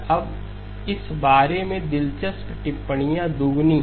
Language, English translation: Hindi, Now the interesting observations about this are twofold